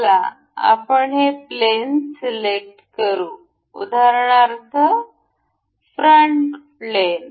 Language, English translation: Marathi, Let us just select this plane and say the top plane